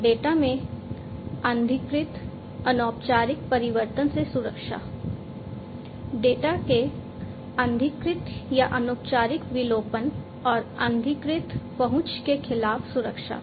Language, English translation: Hindi, So, protection against unauthorized, unofficial change in the data; unauthorized on unofficial deletion of the data and uncertified access